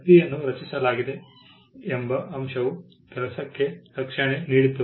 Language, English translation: Kannada, The fact that the work was created granted protection to the work